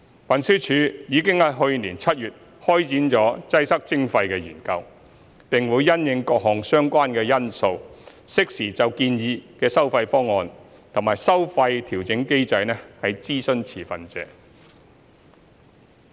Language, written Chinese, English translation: Cantonese, 運輸署已於去年7月開展"擠塞徵費"研究，並會因應各項相關因素，適時就建議的收費方案和收費調整機制諮詢持份者。, TD commenced the study on Congestion Charging last July and will consult relevant stakeholders on the proposed toll plans and toll adjustment mechanism at an appropriate time having regard to various factors